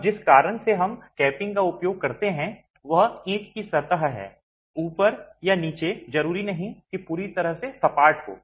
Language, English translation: Hindi, Now, the reason why we use capping is the brick surface at the top or the bottom need not necessarily be completely flat